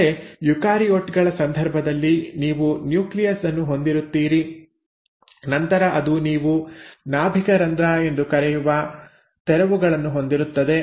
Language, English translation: Kannada, But in case of eukaryotes you have a nucleus, and then it has these openings which you call as the nuclear pore